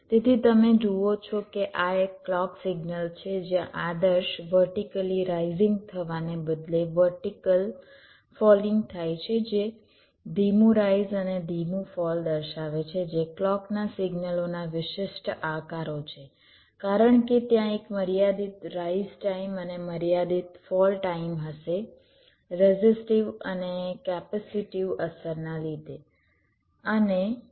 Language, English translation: Gujarati, so you see, this is a clock signal, so where, instead of ideal, vertically rising, vertically falling were showing slow rise and slow fall, which are the typical shapes of the clock signals, because there will be a finite rise time and finite falls time because of resistive and capacity affects, and the actual clock